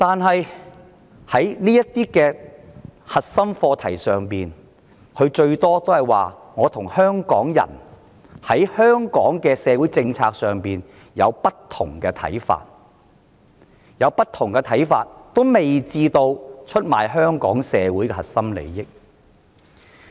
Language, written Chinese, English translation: Cantonese, 然而，在這些核心課題上，特首最多只是說她與香港人對香港的社會政策看法不同，而看法不同也未至於會出賣香港社會的核心利益。, Nevertheless on such core issues one may say that the Chief Executive and Hong Kong people just have different opinions about the social policies of Hong Kong and such a difference will not make her go so far as to betray the core interest of our society